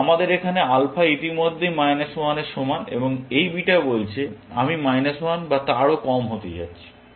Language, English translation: Bengali, Now, here we have alpha is already equal to minus 1 and this beta says, that I am going to be minus 1 or less